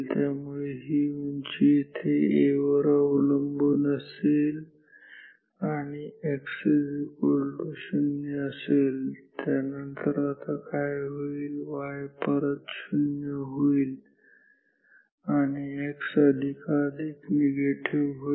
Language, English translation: Marathi, So, this height is proportional to A here and x is 0 and after this what will happen y will go back to 0 and x will be more and more negative